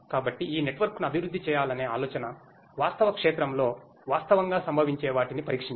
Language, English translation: Telugu, So, the idea of developing this network is to test the things that actually occur in real field